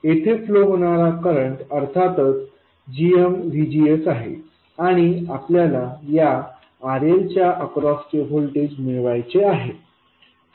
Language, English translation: Marathi, The current that flows here is of course GMVGS and what we want is the voltage across RL